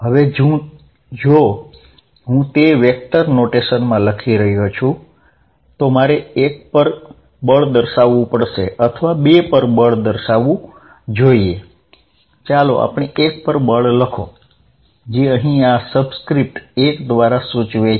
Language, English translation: Gujarati, Now, if I am writing it in the vector notation I have to denote force on 1 or force on 2, let us write the force on 1 which I denote here by this subscript 1 here